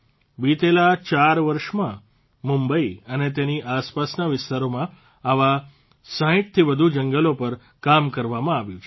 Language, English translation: Gujarati, In the last four years, work has been done on more than 60 such forests in Mumbai and its surrounding areas